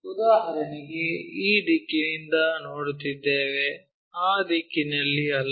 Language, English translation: Kannada, For example, we are looking from this direction not in that direction